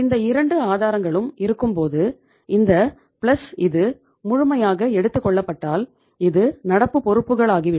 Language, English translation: Tamil, Once these 2 sources, this plus this is fully taken this becomes the current liabilities